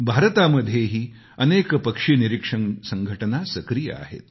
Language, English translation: Marathi, In India too, many bird watching societies are active